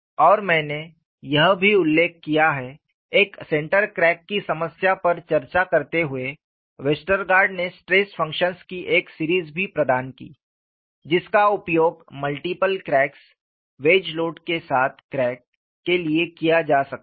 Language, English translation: Hindi, aAnd I have also mentioned, while discussing the problem of a central crack, Westergaard also provided a series of stress functions which could be used for multiple cracks, crack with wedge load; all of these we would see in the next chapter